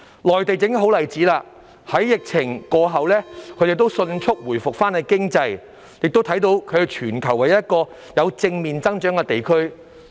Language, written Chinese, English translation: Cantonese, 內地正是一個好例子，在疫情過後，他們已迅速恢復經濟，亦能看到他們是全球唯一一個有正面增長的地區。, The Mainland is a good example . It managed to reboot the economy quickly after the epidemic was over and we can see that it is the only region in the world that has achieved positive growth